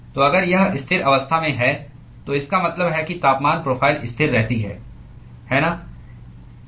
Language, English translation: Hindi, So, if it is under steady state conditions, it means that the temperature profile remains constant, right